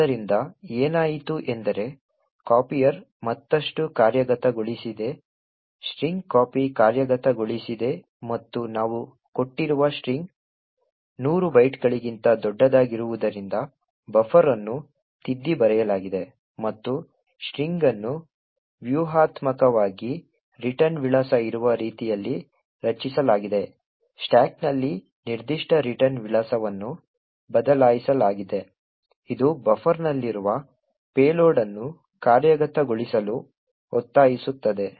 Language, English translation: Kannada, So even this let us see what has happened is that the copier has executed further string copy has executed and since the string which we have given is much larger than 100 bytes therefore buffer has overwritten and the string has been strategically created in such a way that the return address present on the stack has been replaced with a specific return address which forces the payload present in the buffer to execute